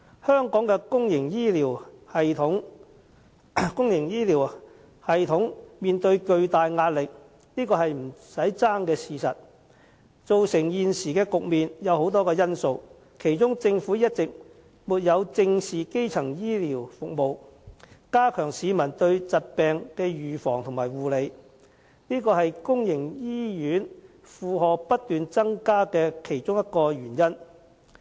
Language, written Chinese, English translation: Cantonese, 香港的公營醫療系統面對巨大壓力是不爭的事實，造成現時的局面有很多因素，政府一直沒有正視基層醫療服務，加強市民對疾病的預防及護理，是公營醫院負荷不斷增加的其中一個原因。, The public health care system in Hong Kong is definitely facing tremendous pressure . Factors leading to the present - day situation under which public hospital workloads grow incessantly are plentiful and one of them is the Governments failure to face squarely the need for primary health care services to strengthen peoples knowledge in the prevention and care of diseases